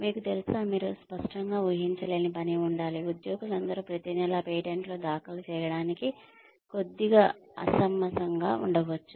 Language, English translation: Telugu, You know, the work should be, you cannot obviously expect, all the employees to file patents, every month, that may be little unreasonable